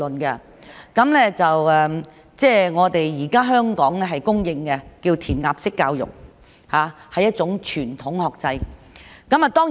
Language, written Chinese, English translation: Cantonese, 現時香港教育被公認為填鴨式教育，是一種傳統學制。, Hong Kongs present education system is generally considered a form of spoon - feeding and traditional education